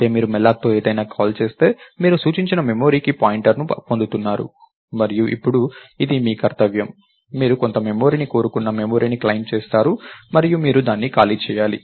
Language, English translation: Telugu, call something with malloc, you are getting a pointer to the memory that was pointed to and its your duty now, you claim the memory you wanted some memory and you have to free it out